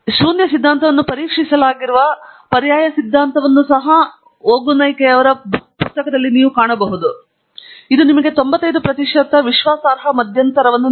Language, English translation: Kannada, It is also telling you the alternative hypothesis against which the null hypothesis has been tested, and it also gives you the 95 percent confidence interval